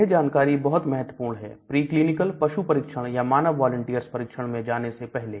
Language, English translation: Hindi, These information of course is very very important before we go into preclinical that means animal studies or before we go into human volunteers